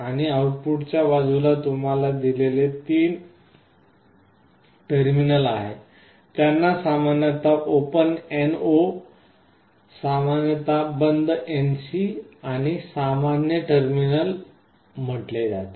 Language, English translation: Marathi, And on the output side you see there are three terminals that are provided, these are called normally open normally closed , and the common terminal